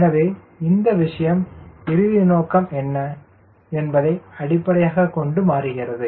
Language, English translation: Tamil, so this things goes on changing based on what is the final aim